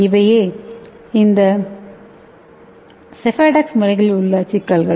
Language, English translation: Tamil, So these are the problems with these sephadex methods